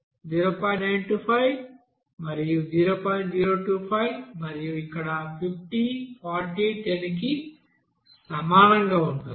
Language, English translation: Telugu, 025 and then here 50, 40, 10 this one